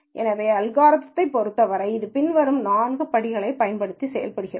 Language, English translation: Tamil, So, in terms of the algorithm itself it is performed using the following four steps